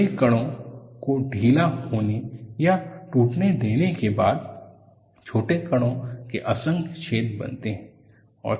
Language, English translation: Hindi, After the large particles let loose or break, holes are formed at myriads of smaller particles